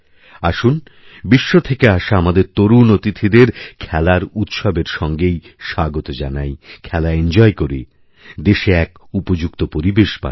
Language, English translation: Bengali, Come, let's welcome the young visitors from all across the world with the festival of Sports, let's enjoy the sport, and create a conducive sporting atmosphere in the country